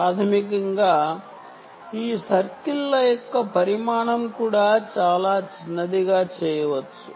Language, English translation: Telugu, basically, the the dimension of the size of each of these circles can also be made very small